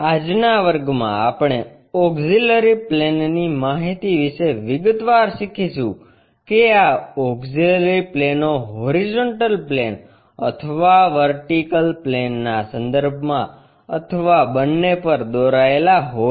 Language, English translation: Gujarati, In today's class we will learn in detail about our auxiliary plane concepts whether these auxiliary planes has to be constructed with respect to horizontal plane or vertical plane or on both